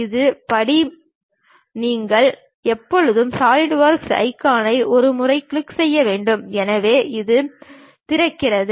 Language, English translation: Tamil, The first step is you always have to double click Solidworks icon, so it opens it